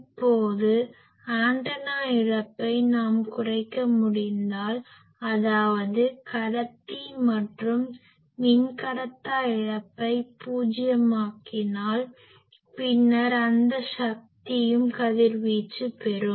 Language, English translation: Tamil, Now, if we can make antenna loss less, that is conductor and dielectric loss to zero, then that amount of power also will get radiated